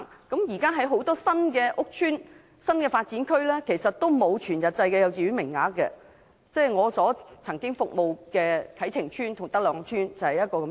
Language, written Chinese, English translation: Cantonese, 現時很多新屋邨和新發展區也沒有全日制幼稚園名額，我曾經服務的啟晴邨及德朗邨就是例子。, Currently there is no full - day kindergarten places available in many new housing estates and new development areas . Kai Ching Estate and Tak Long Estate that I have served are two examples